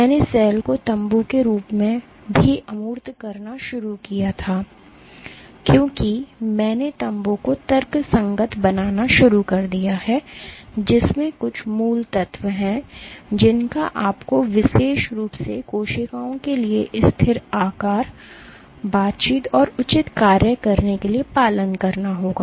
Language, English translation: Hindi, I have also started by abstracting the cell as tent I started rationalized in what are some of the basic ingredients you would need in adherent cells in particular for the cells to have stable shape and interaction and proper function